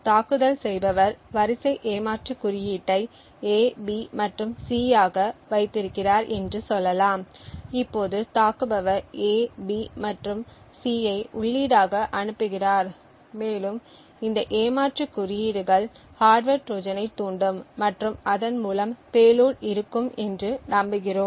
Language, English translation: Tamil, Let us say that the attacker has kept sequence cheat code as A B and C now the attacker is sending A B and C as the input and is hoping to hoping that this sequence of cheat codes would trigger the hardware Trojan and thereby the payload